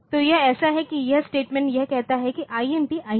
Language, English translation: Hindi, So, this so, this statement it says that so, INT INTT